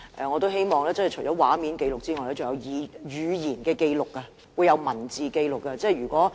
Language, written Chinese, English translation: Cantonese, 我希望除了以畫面紀錄外，還會以文字紀錄這一幕。, I do hope that in addition to a video record there will be a written record for this scene